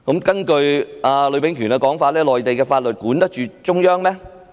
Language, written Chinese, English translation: Cantonese, 根據呂秉權的說法，內地法律管得到中央嗎？, According to Bruce LUI can the laws on the Mainland control the Central Authorities?